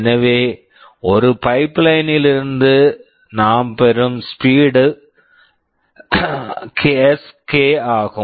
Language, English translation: Tamil, So, in a pipeline the speedup Sk we are getting is this